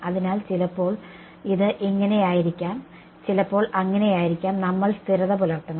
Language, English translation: Malayalam, So, sometimes it may be this way sometimes it may be that way we just have to be consistent